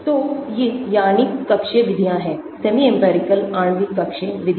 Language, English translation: Hindi, So, these are molecular orbital methods, semi empirical molecular orbital methods